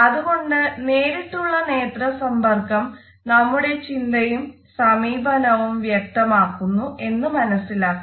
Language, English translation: Malayalam, So, we can understand that our direct eye contact signals our attitudes and thoughts